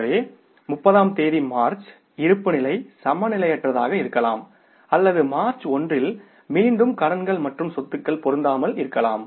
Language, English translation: Tamil, So, on 30th March, the balance sheet position may be imbalanced or on the first March again the liabilities and assets may not match